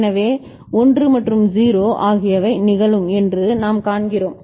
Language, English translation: Tamil, So, what we see that 1 and 0 will be occurring ok